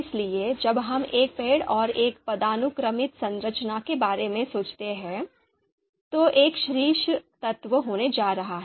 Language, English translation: Hindi, So when we when you you know think about a you know a tree and a hierarchical structure, the top element just one element is going to be there